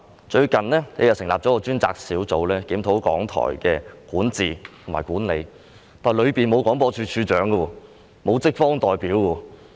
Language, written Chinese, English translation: Cantonese, 最近，政府成立了一個專責小組，檢討港台的管治和管理，但當中沒有廣播處長和職方代表。, Recently the Government has established a dedicated team to review the governance and management of RTHK but the Director of Broadcasting and the staff side representatives are not included therein